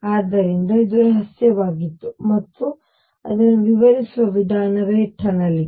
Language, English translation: Kannada, So, this was a mystery and the way it was explain was through tunneling